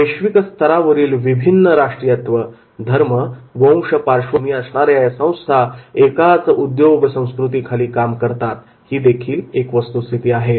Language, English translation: Marathi, It is a fact it is a global organization comprised of many nationalities, religion and ethnic backgrounds all working together in one single unifying corporate culture